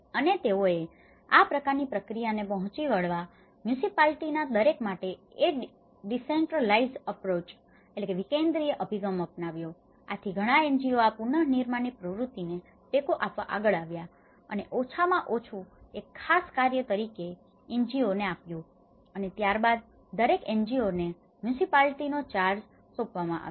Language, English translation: Gujarati, And what they did was, they, in order to meet this kind of process they adopted a decentralized approach so for each of the municipality, so the many NGOs came forward to support for this reconstruction activity and then what they did was at least they have given each NGO a particular task and then each one NGO was assigned in charge of the municipality